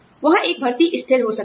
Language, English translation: Hindi, There could be a hiring freeze